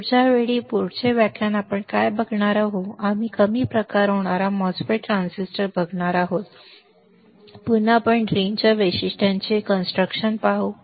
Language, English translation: Marathi, Next time a next lecture what we are going to see, we are going to see the depletion type n mos transistor and again we will see the construction to the drain characteristics